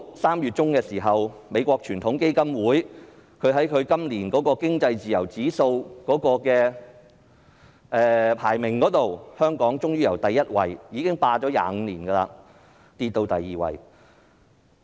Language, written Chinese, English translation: Cantonese, 3月中，美國傳統基金會發表年度經濟自由度指數，香港過去連續25年排名第一位，今年終於下跌至第二位。, According to the annual Index of Economic Freedom released by the United States Heritage Foundation in mid - March Hong Kong has for the first time fallen to the second place this year after being ranked first for 25 consecutive years